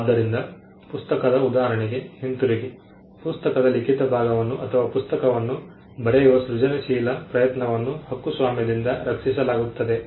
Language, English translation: Kannada, So, coming back to the book example a book the written part of the book or the creative endeavor that goes into writing a book is protected by copyright